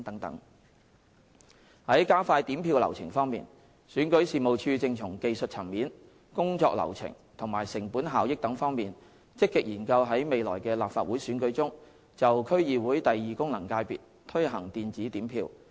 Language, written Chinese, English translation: Cantonese, 在加快點票流程方面，選舉事務處正從技術層面、工作流程及成本效益等方面，積極研究在未來的立法會選舉中，就區議會功能界別推行電子點票。, As regards expediting the counting procedure the Registration and Electoral Office is proactively studying ways to introduce electronic counting of votes for the DC second Functional Constituency DC second FC in future Legislative Council elections taking into account the technical aspects work flow and cost - effectiveness etc